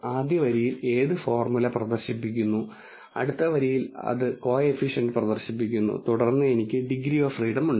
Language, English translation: Malayalam, In the first line it displays the formula, in the next line it displays the coefficient then I have degrees of freedom